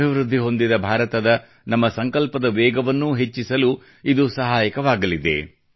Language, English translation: Kannada, This will provide a fillip to the pace of accomplishing our resolve of a developed India